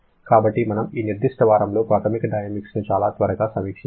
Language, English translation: Telugu, So, we had a very quick review of your basic thermodynamics in this particular week